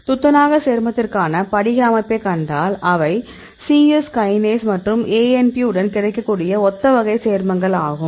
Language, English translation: Tamil, If you see the crystal structure these are similar type of compound available with the C Yes Kinase and ANP